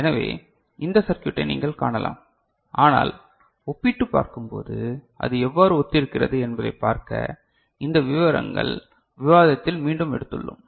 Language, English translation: Tamil, So, you can see this circuit over there ok, but just to compare and see how it is similar we have taken it again in this particulars discussion, right